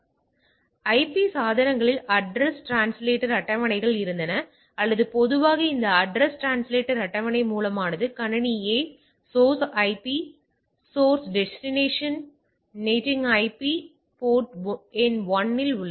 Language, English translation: Tamil, So, IP device had address translation table so or ATT like typically this is address translated table source is computer A, source IP this one, source destination NATing IP is this one at port number 1